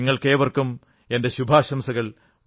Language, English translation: Malayalam, My best wishes to you all